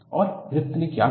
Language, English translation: Hindi, And, what did Griffith do